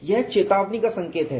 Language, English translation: Hindi, This is the warning signal